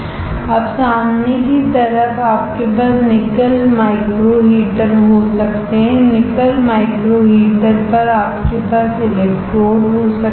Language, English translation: Hindi, Now in the front side you can have the nickel micro heater, on nickel micro meter you can have electrodes